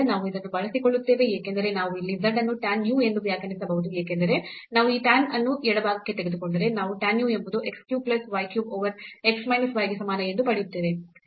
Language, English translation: Kannada, And, we will make use of this because we can define here z as tan u because, if we take this tan to the left hand side we will get tan u is equal to x cube plus y cube over x minus y